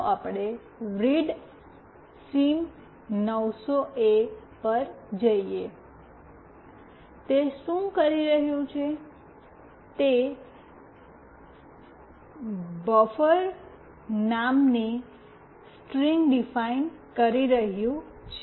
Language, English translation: Gujarati, Let us go to readsim900A(), what it is doing it is defining a string called buffer